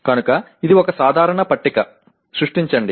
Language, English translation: Telugu, So it is a simple table, create